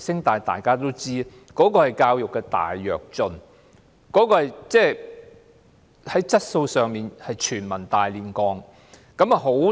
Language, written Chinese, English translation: Cantonese, 大家都知道，這是教育的"大躍進"，這是教育質素的全民"大煉鋼"。, As we all know this is a great leap forward for education and a mass steel campaign of education quality